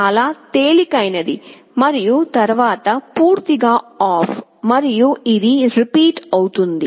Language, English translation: Telugu, 2 very light and then totally OFF; and this cycle repeats